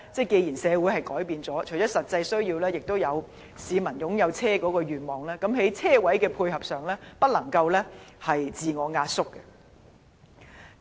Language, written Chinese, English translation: Cantonese, 既然社會已經改變，市民除了有實際需要外，亦有擁有汽車的願望，我希望政府在車位的數目上不要刻意縮減。, As our society has changed in the sense that people not only have practical needs to buy cars they also have the aspiration to own a car I hope that the Government will not deliberately reduce the number of parking spaces